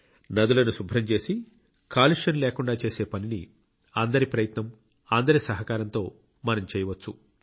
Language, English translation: Telugu, We can very well undertake the endeavour of cleaning rivers and freeing them of pollution with collective effort and support